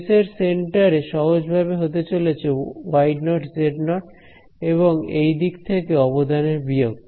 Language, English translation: Bengali, Center of the space is simply going to be y naught z naught and minus the contribution from this side ok